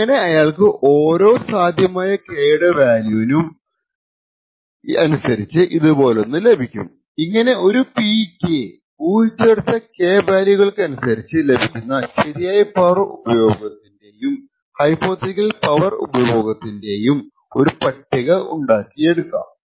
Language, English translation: Malayalam, So, he would get something like this for every possible value of K he would be able to create a table like this corresponding to the same P value, a guessed K value, the real power consumed and the hypothetical power consumed